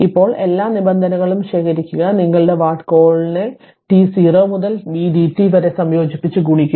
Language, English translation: Malayalam, Now, collect all the terms of your what you call multiplied by integration t 0 to v dt